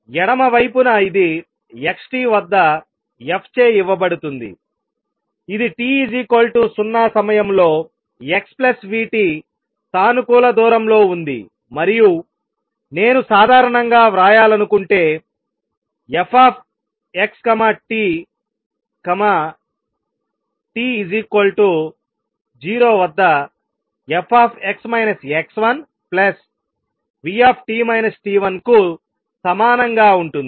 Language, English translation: Telugu, How about that traveling to the left, this would be given by f at x t would be what; it was at a positive distance x plus v t at time t equal to 0 and if I want to write in general f x t is going to be equal to f x minus x 1 plus v t minus t 1 at t equal to 0